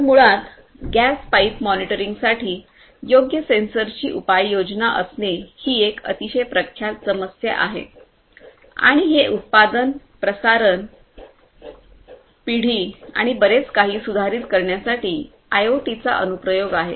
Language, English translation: Marathi, So, basically the deployment of appropriate sensors for gas pipe monitoring is a is a very well known problem and that is an application of IoT to improve the production, the transmission, the generation and so on